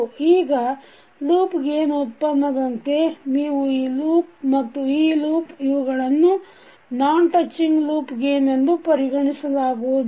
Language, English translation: Kannada, Now the product of loop gains like if you take this loop and this loop, this cannot be considered as a non touching loop gains because the nodes are common